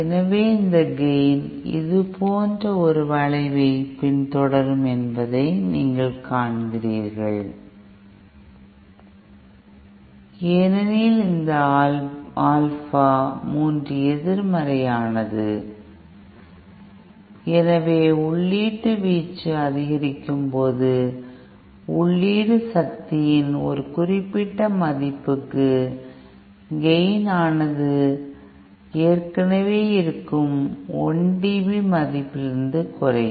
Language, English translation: Tamil, So, you see this gain would follow a curve like this and because that Alpha 3 is negative, so as the input amplitude increases, the gain will gradually reduce from what it should have been by 1 dB for a certain value of the input power which is known as the 1 dB compression point